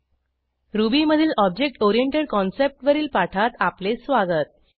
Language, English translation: Marathi, Welcome to this spoken tutorial on Object Oriented Concept in Ruby